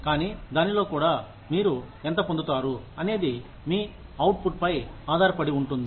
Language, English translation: Telugu, But then, within that also, how much do you get, depends on your output